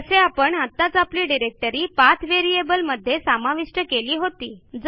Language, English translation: Marathi, Like we had just added our directory to the PATH variable